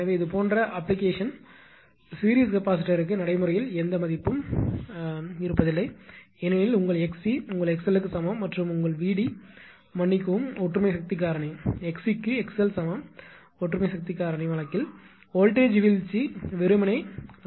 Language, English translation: Tamil, So, this is in such application series capacitors practically have no value because your x c is equal to your x l and your VD a that ah sorry unity power factor case right not x c is equal x l; that unity power factor case, voltage drop is simply I R